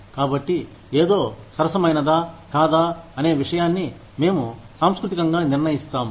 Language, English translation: Telugu, So, this is how, we culturally determine, whether something is fair or not